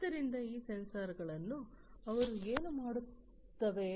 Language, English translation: Kannada, So, these sensors what they do